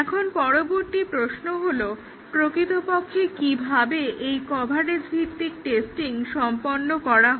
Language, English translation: Bengali, Now, the next question is how is exactly the coverage based testing carried out